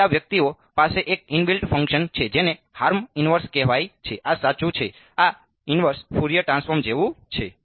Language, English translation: Gujarati, So, these guys have a inbuilt function called harm inverse this is right this is like the inverse Fourier transforms